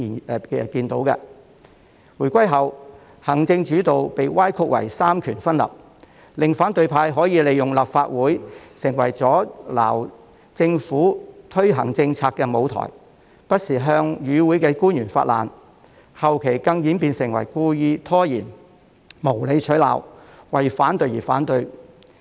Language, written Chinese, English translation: Cantonese, 不過，在回歸後，行政主導被歪曲為三權分立，令反對派可以利用立法會成為阻撓政府推行政策的舞台，不時向與會的官員發難，後期更演變為故意拖延，無理取鬧，為反對而反對。, However after the reunification the executive - led system was misrepresented as separation of powers so that the opposition camp could use the Legislative Council as a stage for obstructing the Government from putting policies in place . From time to time they took it out on the attending officials . At a later stage they even went so far as to deliberately stall for time and make groundless accusations opposing for the sake of opposing